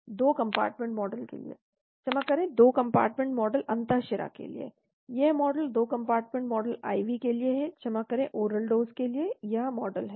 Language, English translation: Hindi, For a 2 compartment model sorry, for a 2 compartment model intravenous , this is the model for 2 compartment model for IV sorry for oral dose, this is the model